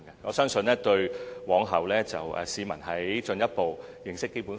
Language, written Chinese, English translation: Cantonese, 我相信這能有助市民日後進一步認識《基本法》。, I believe this can help the public further understand BL in future